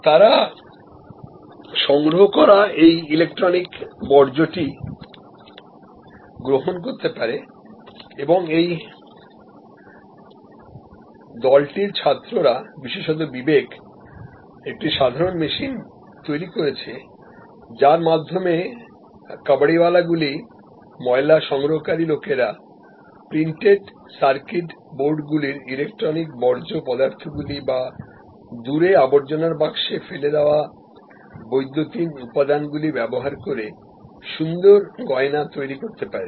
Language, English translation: Bengali, And they can take this electronic waste which they collect and this group of students particularly Vivek develop simple machines by which our kabaliwalahs rag pickers can develop this beautiful jewelry using electronic waste parts of printed circuit boards or electronic components through in away garbage bin